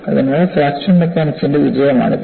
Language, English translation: Malayalam, So, that is the success of fracture mechanics